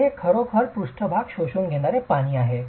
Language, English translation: Marathi, So, it's really the surface absorbing water